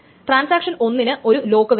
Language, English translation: Malayalam, So transaction 1 wants an exclusive lock